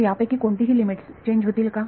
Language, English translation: Marathi, So, will any of these limits change